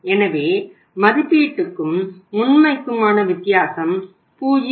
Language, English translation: Tamil, So the difference between the estimated and the actual is 0